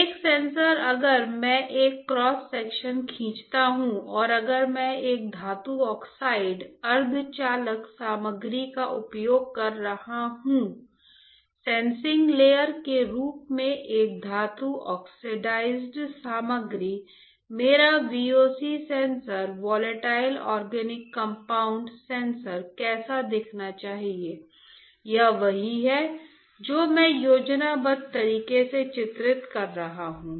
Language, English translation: Hindi, A sensor if I draw a cross section then and if I am using a metal oxide semiconductor material; a metal oxide material as sensing layer right, how my VOC sensor volatile organic compound sensor should look like all right that is what I am drawing in the schematic